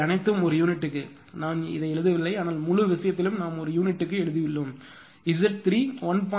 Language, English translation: Tamil, These are all per unit right; I am not written, but throughout the thing we have written all per unit right; all per unit and Z 3 is equal to ah 1